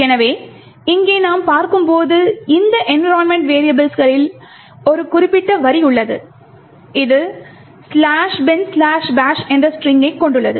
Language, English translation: Tamil, So, as we see over here there is one particular line in this environment variables which actually has the string slash bin slash bash